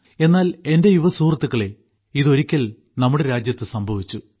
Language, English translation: Malayalam, But my young friends, this had happened once in our country